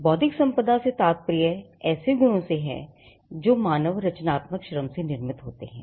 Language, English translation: Hindi, Intellectual property refers to that set of properties that emanates from human creative labour